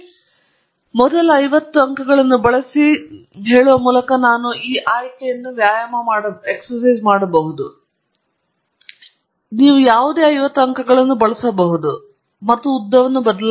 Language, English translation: Kannada, So, in lm, I can exercise this option by saying subset use a first one fifty points; you can use any one fifty points or even change the length and so on